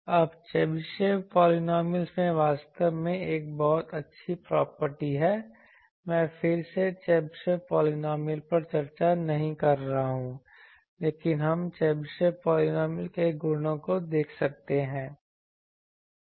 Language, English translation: Hindi, Now, Chebyshev polynomials have a very nice property actually, I am not again discussing Chebyshev polynomial, but we can see the properties of Chebyshev polynomial